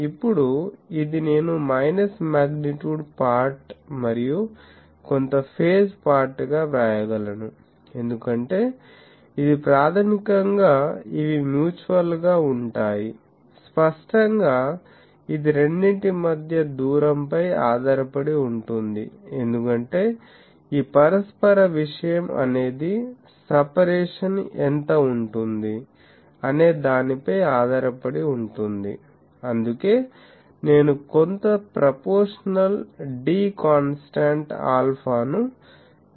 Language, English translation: Telugu, Now, this I can write as minus magnitude part and some phase part, because this is basically the mutual by these; obviously, this will depend on the separation of the two, because this mutual thing is dependent on what is the separation, that is why I have taken with some proportional d constant alpha ok